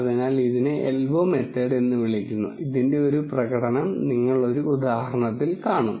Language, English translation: Malayalam, So, this is called an elbow method and you will see a demonstration of this in an example